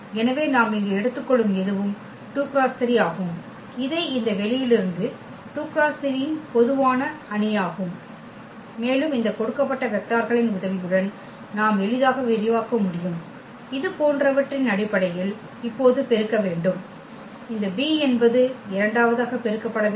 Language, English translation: Tamil, So, anything we take here for example, 2 by 3 so, this is a general matrix from this space 2 by 3 and with the help of this given vectors we can easily expand in terms of like a should be multiplied to the first one now and this b is should be multiplied to the second one and so on